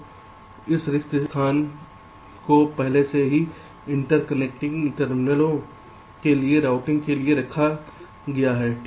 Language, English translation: Hindi, so this spaces are already kept in for routing, for interconnecting minutes